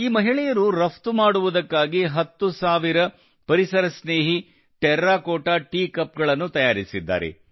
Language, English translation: Kannada, These women crafted ten thousand Ecofriendly Terracotta Tea Cups for export